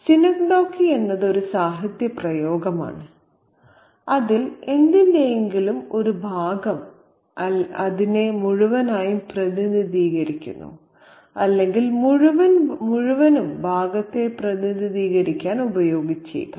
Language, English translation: Malayalam, Seneca is a literary device in which a part of something represents the whole or the whole maybe used to represent the part